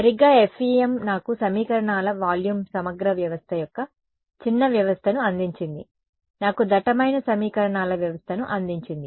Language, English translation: Telugu, Right, FEM gave me a sparse system of equations volume integral give me a dense system of equations